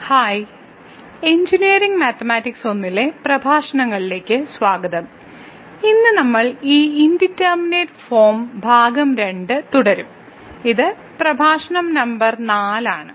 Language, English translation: Malayalam, Hai, welcome to the lectures on Engineering Mathematics I and today we will be continuing this Indeterminate Form Part 2 and this is lecture number 4